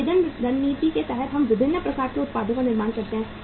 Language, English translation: Hindi, Under differentiation strategy we manufacture different kind of the products